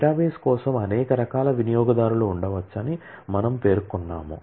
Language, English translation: Telugu, We mentioned that there could be several types of users for a database